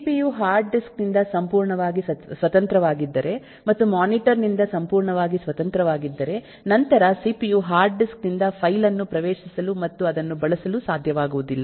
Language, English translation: Kannada, if cpu is completely independent of the hard disk and completely independent of the monitor and so on, then the cpu will not be able to access the file from the hard disk and use it